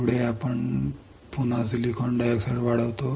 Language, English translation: Marathi, Next is we again grow silicon dioxide